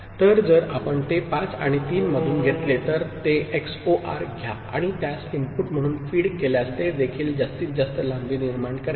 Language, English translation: Marathi, So, if you take it from 5 and 3, XOR it and feed it as input, that will also generate maximal length